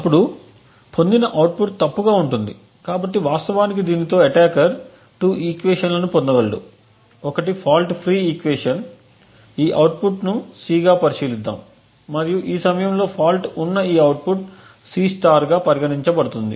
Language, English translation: Telugu, Now the output obtained would be erroneous, so in fact with this the attacker can get 2 equations one is the fault free equation, let us consider this output as C and this output due to the fault getting induced at this point to be C*